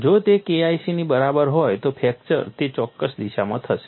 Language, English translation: Gujarati, If it is equal to K1 c then fracture would occur in that particular direction